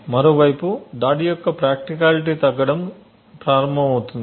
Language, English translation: Telugu, On the other hand, the practicality of the attack starts to reduce